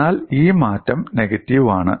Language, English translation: Malayalam, But this change is negative